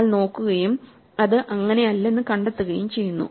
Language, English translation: Malayalam, So, we look and we find that it is not